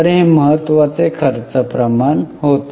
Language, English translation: Marathi, So, these were important expense ratios